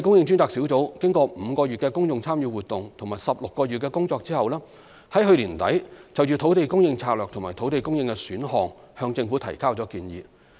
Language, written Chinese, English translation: Cantonese, 專責小組經過5個月的公眾參與活動及16個月的工作後，於去年年底就土地供應策略及土地供應選項向政府提交建議。, After the five - month public engagement exercise and 16 months of work the Task Force submitted recommendations on the land supply strategy and land supply options to the Government at the end of last year